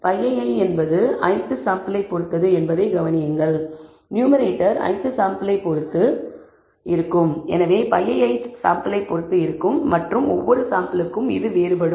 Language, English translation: Tamil, Notice that p ii depends on the i th sample, numerator depends on the i th sample, therefore p ii depends on the i th sample and varies with sample to sample